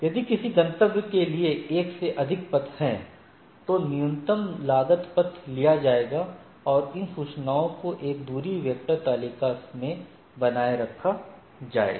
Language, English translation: Hindi, So, if there are more than one path for the destination the minimum cost path will be taken these information is maintained in a distance vector table right